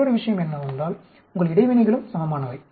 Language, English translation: Tamil, Other thing is your interactions also are balanced